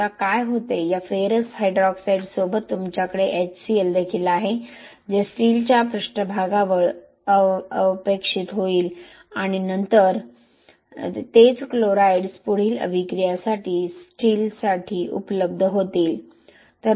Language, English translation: Marathi, Now what happens is along with this ferrous hydroxide you also have HCl which will precipitate near the steel surface and then you will have the same chlorides will be available for the steel for further reaction